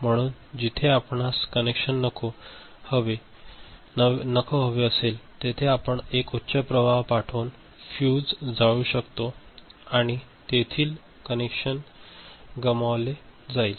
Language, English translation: Marathi, So, wherever you want the connection not to be there you send a high current by which the fuse is burnt and the connection is lost